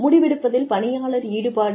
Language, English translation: Tamil, Employee engagement in decision making